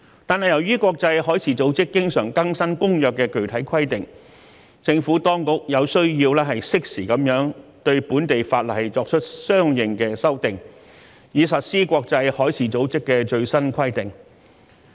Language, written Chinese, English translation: Cantonese, 但是，由於國際海事組織經常更新《公約》的具體規定，政府當局有需要適時對本地法例作出相應的修訂，以實施國際海事組織的最新規定。, However since IMO will update the specific requirements in the Convention from time to time the Administration needs to make corresponding amendments to local legislation on a timely basis in order to implement the latest requirements promulgated by IMO